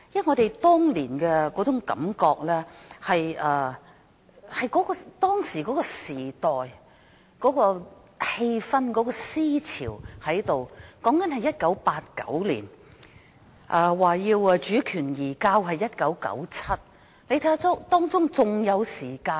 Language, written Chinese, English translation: Cantonese, 我們當年的感覺是基於當時的時代氣氛和思潮，當時是1989年，而主權移交是1997年，仍有一段時間。, The feelings we harboured back then were attributable to the ambience and ideological trend at the time . The year was 1989 and there was still some time before the handover of sovereignty in 1997